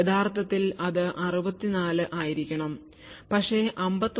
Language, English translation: Malayalam, 1, so ideally it should have been 64 but 59